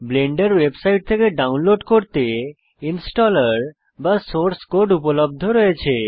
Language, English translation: Bengali, The installer or source code is available for download from the Blender website